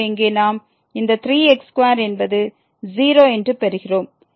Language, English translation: Tamil, So, here we are getting this square is going to